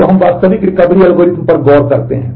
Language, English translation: Hindi, So, now let us look into the actual Recovery Algorithm